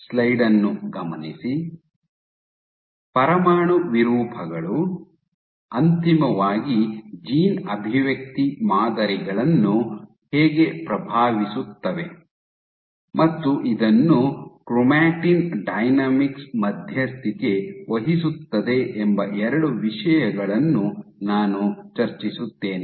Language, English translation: Kannada, I will discuss two things that how the nuclear deformations, eventually influence gene expression patterns and this will be mediated by chromatin dynamics